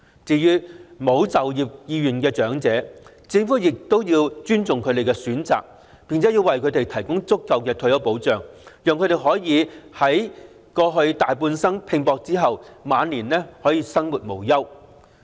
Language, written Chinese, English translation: Cantonese, 至於沒有就業意願的長者，政府亦要尊重其選擇，並為他們提供足夠的退休保障，讓他們在大半生拼搏後，晚年可以生活無憂。, For elderly persons who do not wish to work the Government should also respect their choice and accord to them adequate retirement protection so that they can lead a carefree life in their twilight years after a lifetime of hard toil